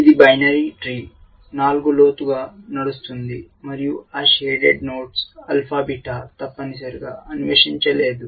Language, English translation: Telugu, It is a binary game tree 4 ply deep and those shaded nodes are the ones which alpha beta did not explore essentially